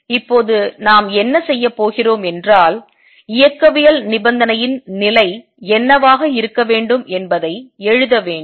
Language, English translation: Tamil, What we are going to do now is write what the condition on the dynamical condition should be